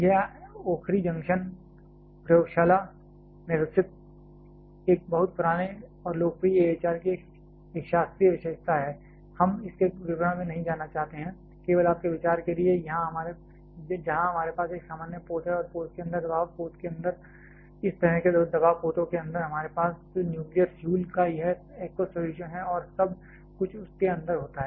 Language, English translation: Hindi, This is a classical feature of a very old and popular AHR developed in the okhri junction laboratory; we do not want go to the details of this is, just for your idea where we have a common vessel and inside the vessel inside the pressure vessel like this one inside this pressure vessels we have this aqueous solution of the nuclear fuel and everything takes place inside that